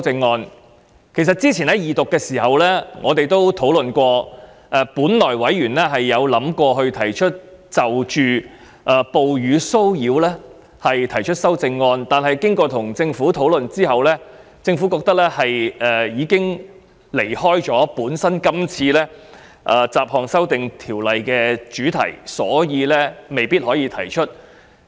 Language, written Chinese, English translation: Cantonese, 我們在較早前二讀辯論階段時曾經指出，委員本來打算就哺乳騷擾提出修正案，但在與政府討論後，政府認為有關建議已偏離《2018年歧視法例條例草案》的主題，所以未必可以提出。, As we have pointed out during the Second Reading debate earlier on Members originally intended to propose amendments on harassment on the ground of breastfeeding but after discussion with the Government the Government considered that the proposal had deviated from the subject of the Discrimination Legislation Bill 2018 the Bill and might not be proposed